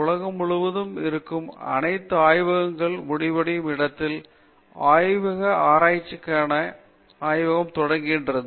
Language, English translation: Tamil, The laboratory for research on language begins where all laboratories end that is the whole world is laboratory for that